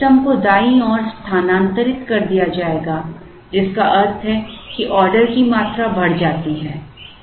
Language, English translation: Hindi, So, the optimum will be shifted to the right, which means the order quantity increases